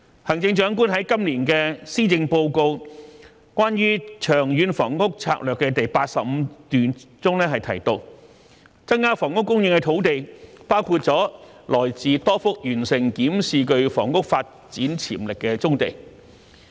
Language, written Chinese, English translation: Cantonese, 行政長官在今年的施政報告中關於長遠房屋策略的第85段中提到，增加房屋供應的土地包括了來自多幅完成檢視具房屋發展潛力的棕地。, In paragraph 85 of this years Policy Address which concerns long - term housing strategy the Chief Executive mentions that the land lots for increasing housing supply include a number of brownfield clusters with housing development potential the review of which has already been completed